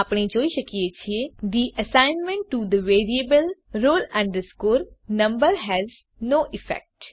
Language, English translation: Gujarati, We can see The assignment to the variable roll number has no effect